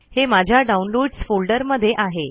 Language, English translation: Marathi, I have downloaded it in my downloads directory